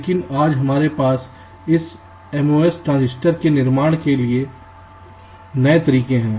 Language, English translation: Hindi, but today we have newer ways of fabricating this most transistor